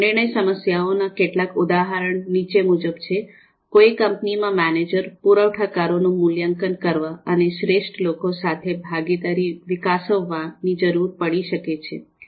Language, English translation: Gujarati, So some of the examples of decision problems as you can see: A manager in a company may need to evaluate suppliers and develop partnership with the best ones